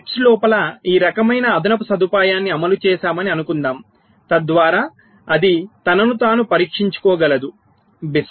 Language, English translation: Telugu, ok, so suppose we have implemented this kind of extra facility inside the chips so that it can test itself, bist